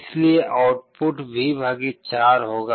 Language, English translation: Hindi, So, the output will be V / 4